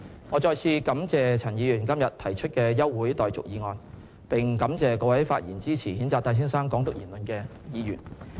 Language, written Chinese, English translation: Cantonese, 我再次感謝陳議員今天提出的休會待續議案，並感謝各位發言支持譴責戴先生"港獨"言論的議員。, I thank Mr CHAN once again for proposing today this adjournment motion and thank all Members who have spoken in support of condemning Mr TAIs remarks on Hong Kong independence